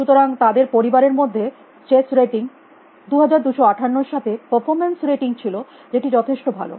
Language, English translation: Bengali, If the performance rating for those of your family with chess rating 2258, which is the quite good